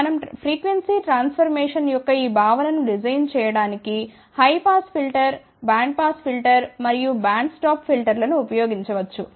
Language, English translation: Telugu, We can use this concept of frequency transformation to design, high pass filter, band pass filter, and band stop filter